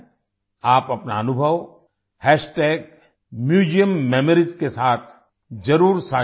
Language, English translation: Hindi, Do share your experience with MuseumMemories